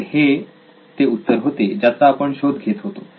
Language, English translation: Marathi, So this is the answer we were looking for